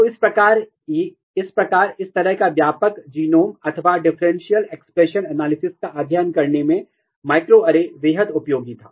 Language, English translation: Hindi, So, this is how that microarray was extremely useful, in studying this kind of genome wide or differential expression analysis